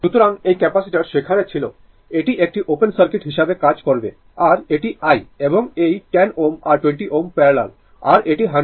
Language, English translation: Bengali, So, this is the capacitor was there it will act as an open circuit and this is i and this 10 ohm and 20 ohm are in parallel and this is 100 volt, right